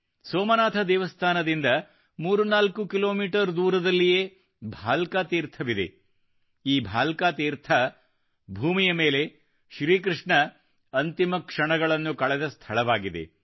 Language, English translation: Kannada, 34 kilometers away from Somnath temple is the Bhalka Teerth, this Bhalka Teerth is the place where Bhagwan Shri Krishna spent his last moments on earth